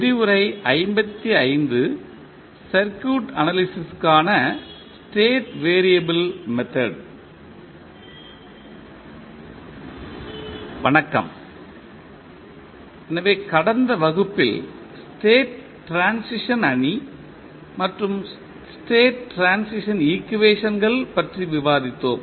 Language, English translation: Tamil, Namaskar, so in last class we discussed about the state transition matrix and the state transition equations